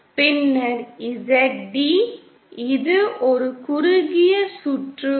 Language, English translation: Tamil, Then, Zd this is for a short circuited line